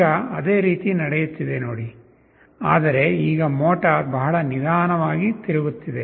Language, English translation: Kannada, So now, see the same thing is happening, but now the motor is rotating at a much slower speed